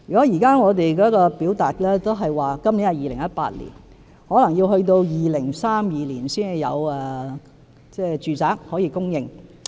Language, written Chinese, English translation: Cantonese, 如果按我們現時的表述，今年是2018年，可能要待2032年才有住宅可以供應。, According to our presentation this year that is 2018 we may have to wait till 2032 to see the provision of residential flats